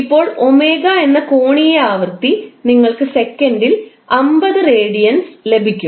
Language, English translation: Malayalam, Now angular frequency that is omega you will get equal to 50 radiance per second